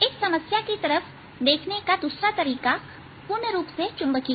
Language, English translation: Hindi, the other way of looking at the problem its purely magnetic